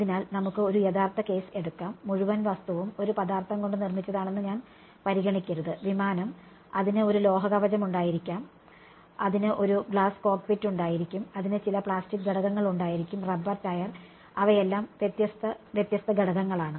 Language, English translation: Malayalam, So, let us take a realistic case where, I should not consider the entire object to be made up of one material right aircraft it will it will have a metallic frame, it will have a glass cockpit, it will have a some plastic components, the rubber tire, all of them they are different different components